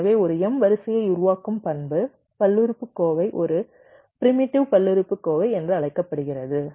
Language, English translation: Tamil, so the characteristic polynomial which generates and m sequence is called a primitive polynomial